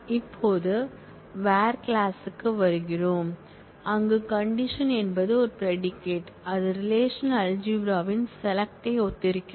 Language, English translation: Tamil, Now, we come to the where clause, where clause specifies the condition is a predicate which corresponds to the selection predicate of relational algebra